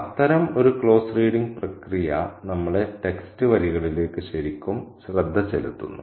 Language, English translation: Malayalam, Such a process of close reading folks makes us pay really close attention to the lines of text and we also begin to think like an author